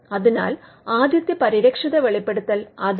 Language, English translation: Malayalam, So, that is the first protected disclosure